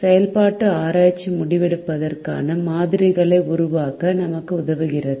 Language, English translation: Tamil, operations research also helps us develop models for decision making